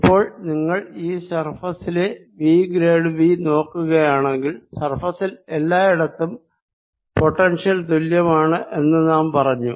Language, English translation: Malayalam, now if you look at v grad v over the surface, we are already saying that the surface has the same potential